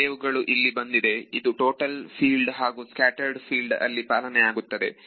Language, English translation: Kannada, Some wave has come over here this is true in total field or scattered field